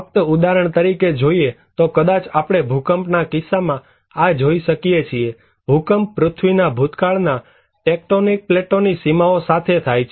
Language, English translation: Gujarati, In case of just for an example, maybe we can see that in case of earthquake; earthquake occurs along the boundaries of the tectonic plates of the earth crust